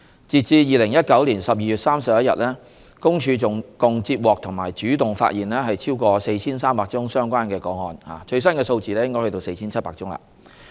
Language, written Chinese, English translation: Cantonese, 截至2019年12月31日，公署共接獲及主動發現超過 4,300 宗相關個案，最新數字是 4,700 宗。, As at 31 December 2019 PCPD has received and proactively uncovered over 4 300 doxxing - related cases the latest number of cases is 4 700